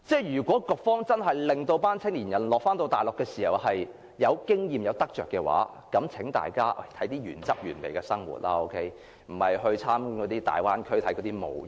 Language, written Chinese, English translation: Cantonese, 如果局方想讓青年人在大陸獲取經驗和有所得着，便讓他們體驗原汁原味的生活，而並非只是參觀粵港澳大灣區等的模型。, If the Bureau concerned wants to enable young people to gain experience and learn something on the Mainland it should offer them an authentic experience rather than merely showing them a scale model of the Guangdong - Hong Kong - Macao Bay Area